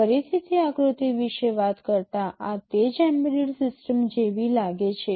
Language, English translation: Gujarati, Again talking about that diagram, this is what embedded system looks like